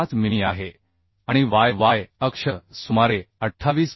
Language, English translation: Marathi, 5 mm and about y y axis is 28